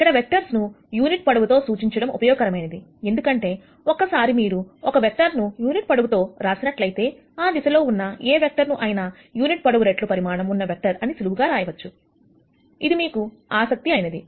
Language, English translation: Telugu, Now, it is useful to de ne vectors with unit length, because once you write a vector in unit length any other vector in that direction, can be simply written as the unit vector times the magnitude of the vector that you are interested in